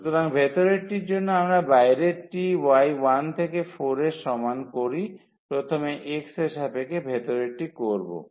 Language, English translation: Bengali, So, for the inner one so, we fix the outer one y is equal to 1 to 4, for inner one with respect to x first